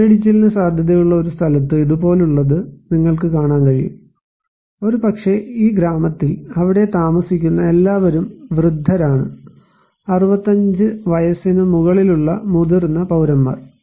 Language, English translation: Malayalam, If in a place that is prone to landslides or potentially to have a landslide, like this one you can see and maybe in this village, the all people living there are old people; senior citizens above 65 years old